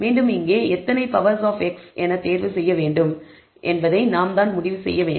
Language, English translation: Tamil, Here again, we have to decide how many powers of x we have to choose